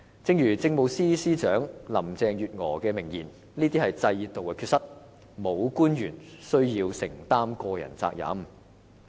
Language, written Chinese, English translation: Cantonese, 正如政務司司長林鄭月娥的名言，"這是制度的缺失，沒有官員需要承擔個人責任。, There was this famous remark by Chief Secretary for Administration Carrie LAM There are deficiencies in the system so no government official should bear the responsibility personally